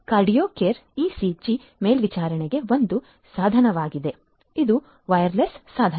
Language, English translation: Kannada, QardioCore is a device for ECG monitoring; it is a wireless device